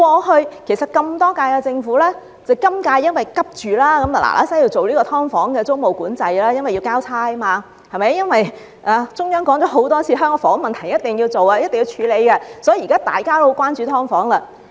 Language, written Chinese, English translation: Cantonese, 其實，在歷屆政府中，只有今屆政府急於趕快訂立"劏房"租務管制，原因是要"交差"，因為中央政府多次提到香港房屋問題必須處理，所以現在大家都十分關注"劏房"。, In fact the current - term Government is so far the only government which is eager to impose tenancy control on SDUs . The reason is that it needs to get the job done after the Central Government has repeatedly called for solutions to the housing problem in Hong Kong . This call makes everyone care about the issue of SDUs